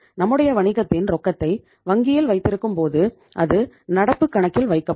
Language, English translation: Tamil, When you keep the business cash in the bank that is kept in the current account